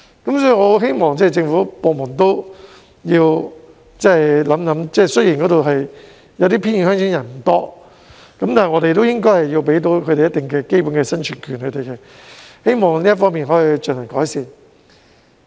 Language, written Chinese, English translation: Cantonese, 所以，我很希望政府部門考慮一下，雖然一些偏遠鄉村的人口不多，但我們都應該為他們提供一定的基本生存權，我希望這方面可以有所改善。, In view of all this I hope various government departments can give consideration to the idea . I say so because even though the population of remote villages is not large we should nonetheless provide for them so that they can maintain their basic subsistence . I look forward to improvements in this respect